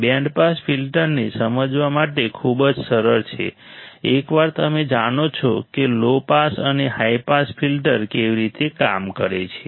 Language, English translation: Gujarati, Very easy to understand band pass filter once you know how the low pass and high pass filter works